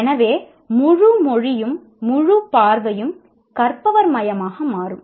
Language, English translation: Tamil, So the entire language, entire view becomes learner centric